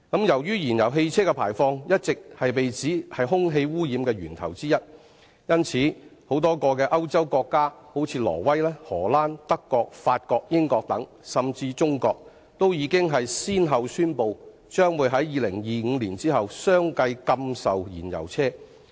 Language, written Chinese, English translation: Cantonese, 由於燃油汽車的排放一直被指為空氣污染的源頭之一，因此，多個歐洲國家例如挪威、荷蘭、德國、法國、英國等，甚至亞洲的中國，均已先後宣布，將於2025年後相繼禁售燃油汽車。, Emissions of fuel - engined vehicles have long been regarded as a source of air pollution . Hence many European countries such as Norway the Netherlands Germany France and the United Kingdom and even China in Asia have announced that they will ban the sale of fuel - engined vehicles from 2025 onwards